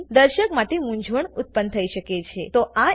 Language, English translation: Gujarati, This could lead to confusion for the viewer